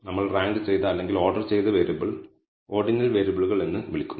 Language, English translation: Malayalam, The way it is defined we can also not apply it to ordinal variables which means ranked variable